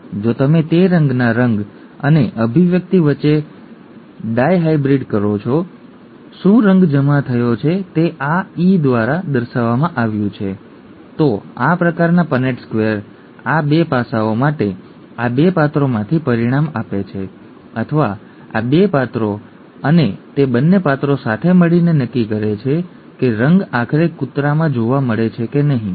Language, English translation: Gujarati, If you do a dihybrid between colour and expression of that colour, okay, whether the whether the colour is deposited as shown by this E, then this kind of a Punnett square results from these 2 characters for these 2 aspects, or these 2 characters and both those characters together determine whether the colour is seen ultimately in the dog or not